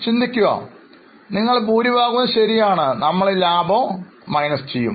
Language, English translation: Malayalam, Most of you are right, we will deduct the profit